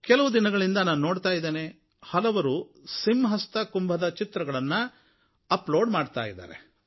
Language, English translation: Kannada, I have been noticing for the last two days that many people have uploaded pictures of the Simhastha Kumbh Mela